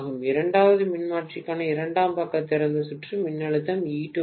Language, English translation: Tamil, The secondary side open circuit voltage for the second transformer is E2